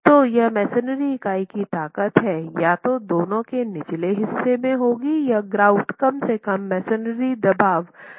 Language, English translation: Hindi, So, the strength of the masonry unit will be either the lower of the two or the grout is at least equal to the masonry compressive strength